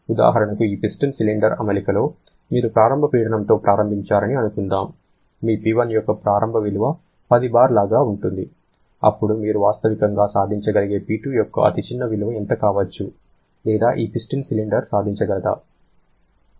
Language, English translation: Telugu, Like suppose, for example, in this piston cylinder arrangement, you have started with an initial pressure say your initial value of P1 is something like 10 bar, then what can be the smallest value of P2 that you can realistically achieved or maybe this piston cylinder can achieve